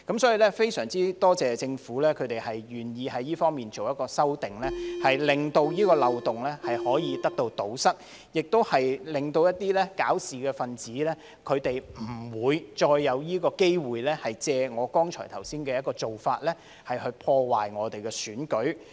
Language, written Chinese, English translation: Cantonese, 所以，非常多謝政府願意在這方面作出修正，令這個漏洞得以堵塞，亦令一些搞事分子不會再有機會借我剛才說的做法，破壞我們的選舉。, Therefore we are glad that the Government is willing to make amendment in this respect to plug the loophole eliminating the chance for troublemakers to do what I have said to ruin our election